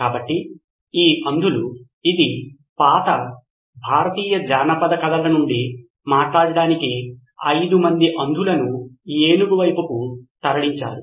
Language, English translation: Telugu, So these blind men, this is from an old Indian folklore so to speak, 5 men blind men were moved on to an elephant